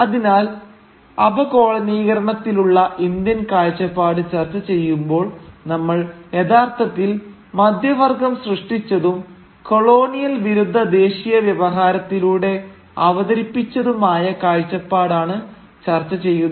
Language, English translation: Malayalam, So, when we discuss the Indian perspective on decolonisation, we therefore will be actually discussing the perspective as presented through the nationalist discourse of anti colonialism generated by the middle class